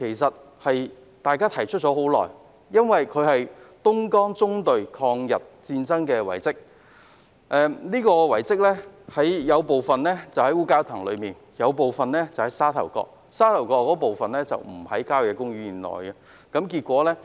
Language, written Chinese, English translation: Cantonese, 這項遺蹟與東江縱隊抗日有關，部分位於烏蛟騰，部分則位於沙頭角，而位於沙頭角的部分並不屬郊野公園範圍內。, This relic is associated with the anti - Japanese campaigns undertaken by the Dongjiang Column . It is located partly in Wu Kau Tang and partly in Sha Tau Kok but this part does not fall within the country park area